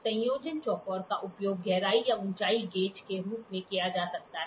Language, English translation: Hindi, The combination square can be used as a depth or a height gauge